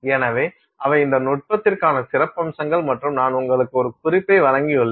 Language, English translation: Tamil, So, those are our highlights for this technique and I have given you a reference